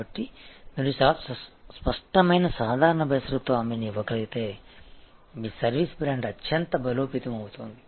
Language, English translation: Telugu, So, if you are able to give a very clear simple unconditional guarantee, your service brand will be highly strengthened